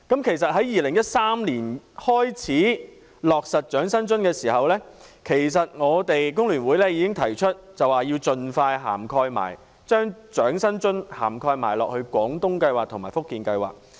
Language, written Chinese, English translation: Cantonese, 其實在2013年開始落實長者生活津貼時，我們工聯會已經提出要盡快把長生津納入"廣東計劃"和"福建計劃"。, Indeed when the Old Age Living Allowance OALA was launched in 2013 the Hong Kong Federation of Trade Unions FTU already proposed to have OALA covered in GDS and FJS as soon as possible